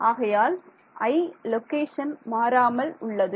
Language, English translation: Tamil, So, i location is the same i minus 1